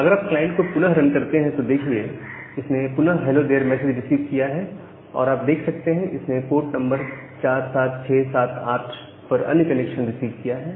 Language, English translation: Hindi, So, if you again run the client, again it has received the hello message and you can see that it has received another connection at a different port 47678